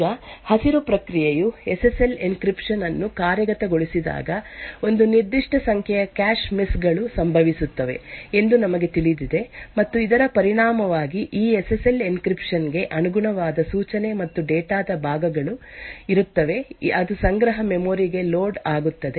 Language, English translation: Kannada, Now, when the process one the green process executes the SSL encryption, as we know that there would be a certain number of cache misses that occurs, and as a result there will be parts of the instruction and data corresponding to this SSL encryption, which gets loaded into the cache memory